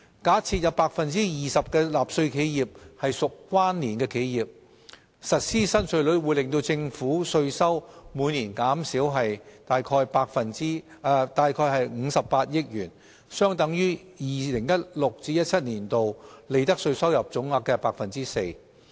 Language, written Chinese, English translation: Cantonese, 假設有 20% 的納稅企業屬關連企業，實施新稅率會令政府稅收每年減少約58億元，相等於 2016-2017 年度利得稅收入總額 4%。, On the assumption that 20 % of the tax - paying enterprises are connected enterprises the tax revenue forgone due to the implementation of the new tax rates will be about 5.8 billion per year or around 4 % of the total profits tax received in 2016 - 2017